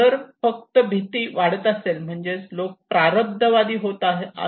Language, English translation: Marathi, If only increasing fear it means people could be become fatalist